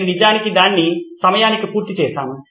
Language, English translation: Telugu, I have actually covered it on time